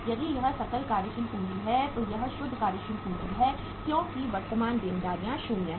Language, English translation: Hindi, If this is the gross working capital this is the net working capital because current liabilities are 0